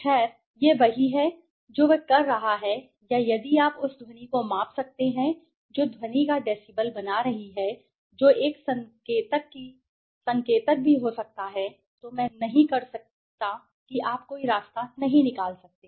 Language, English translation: Hindi, Well, this is what he is doing or if you can measure the maybe the sound that is making the decibel of the sound that also could be an indicator I do not you can take any way right